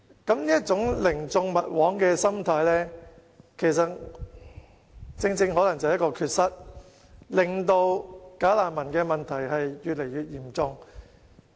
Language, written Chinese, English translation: Cantonese, 不過，這種寧縱勿枉的心態可能正正是一個漏洞，令"假難民"的問題越來越嚴重。, But their mentality of letting them walk free rather than doing injustice may precisely give rise to a loophole one which aggravates the bogus refugee problem